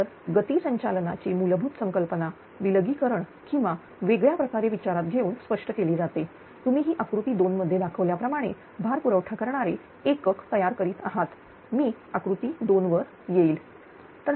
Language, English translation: Marathi, So, the basic concept of speed governing can be illustrated by considering an isolated and isolated ah you are generating unit supplying a load as shown in figure 2, I will come to the figure 2, right